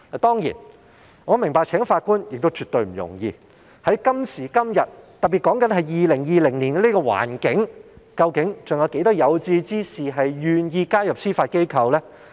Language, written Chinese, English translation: Cantonese, 當然，我明白今時今日聘請法官絕不容易，特別是2020年這樣的環境下，究竟還有多少有志之士願意加入司法機構呢？, Of course I understand that it is absolutely no easy task to recruit judges nowadays . Given a particular situation like that of 2020 how many aspirant people are still willing to join the Judiciary?